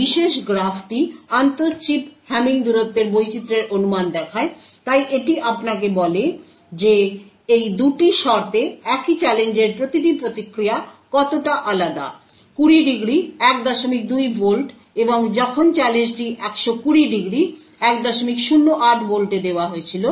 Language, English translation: Bengali, This particular graph shows the estimation of the intra chip Hamming distance variation, so it tells you how different each response looks for the same challenge under these 2 conditions; 20 degrees 1